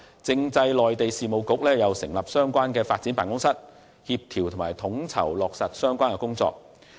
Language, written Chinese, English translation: Cantonese, 政制及內地事務局亦會成立相關發展辦公室，協調及統籌落實相關工作。, The Constitutional and Mainland Affairs Bureau will also set up a relevant development office to steer and coordinate the implementation of the relevant work